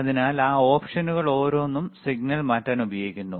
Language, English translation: Malayalam, So, each of those options are used to change the signal